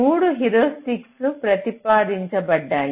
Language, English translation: Telugu, there are three heuristics which are proposed